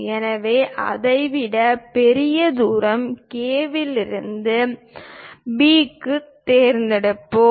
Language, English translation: Tamil, So, let us pick from K to B, a distance greater than that